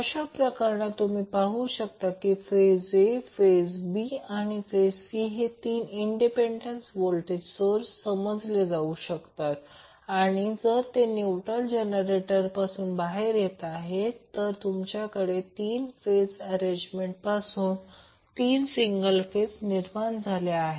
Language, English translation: Marathi, So, in that case you will see that phase A phase, B phase and C can be considered as 3 independent voltage sources and if you have neutral coming out of the generator, so, you can have 3 single phase created out of 3 phase arrangement